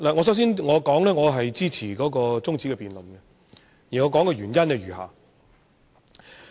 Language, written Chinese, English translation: Cantonese, 首先，我表示支持這項中止待續議案，原因如下。, First of all I support this adjournment motion for the following reasons